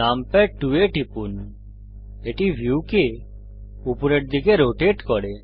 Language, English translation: Bengali, Press numpad 2 the view rotates upwards